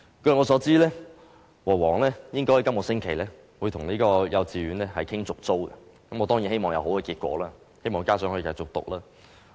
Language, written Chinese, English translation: Cantonese, 據我所知，和黃應該會在本星期與幼稚園商討續租事宜，我當然希望有好結果，希望學生可以繼續讀書。, As I understand it HWL will discuss with the kindergarten on the issue of tenancy agreement renewal later this week . I certainly hope that there will be good results and the students can continue with their studies